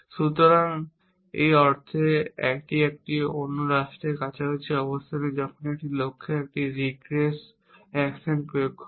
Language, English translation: Bengali, So, in that is sense its close a other state place the regress action is not sound when you apply a regress action to a goal